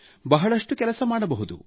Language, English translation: Kannada, We can do a lot